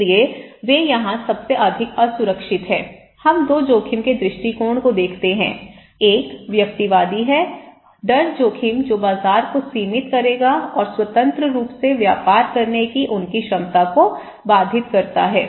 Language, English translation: Hindi, So, they are the most vulnerable so here, we look at the attitude of 2 risk; one is individualistic, the fear risk that would limit the market and constraints their ability to trade freely